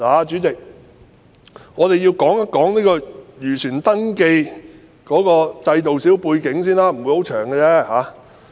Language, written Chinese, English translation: Cantonese, 主席，讓我說說漁船登記制度的背景，我不會說太久。, President let me say a few words about the background of the registration scheme for fishing vessels and it will not be long